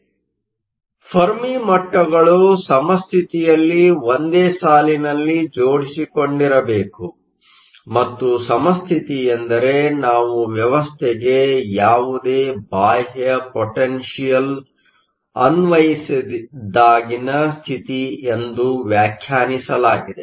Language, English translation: Kannada, So, the Fermi levels line up at equilibrium, and Equilibrium is defined as when we have no external potential applied to the system